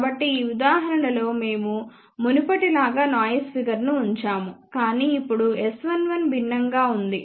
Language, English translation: Telugu, So, in this example we have kept the noise figures as before, but now S 11 is different